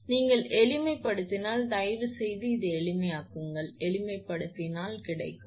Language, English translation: Tamil, If you simplify if you please simplify this one, if you simplify you will get 1